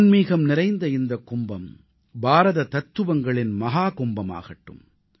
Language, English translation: Tamil, May this Kumbh of Spirituality become Mahakumbh of Indian Philosophy